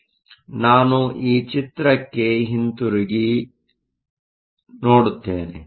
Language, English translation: Kannada, So, let us go back to this picture